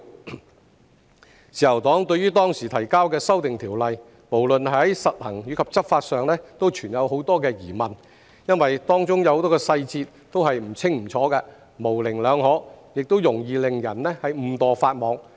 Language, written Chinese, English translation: Cantonese, 自由黨對於當時提交的《條例草案》，無論在實行或執法上均存有很多疑問，因為當中有很多細節都是不清不楚、模棱兩可，亦容易令人誤墮法網。, The Liberal Party had a lot of doubts about the implementation and enforcement of the Bill presented back then because many details were unclear and ambiguous and people might easily be caught by the law inadvertently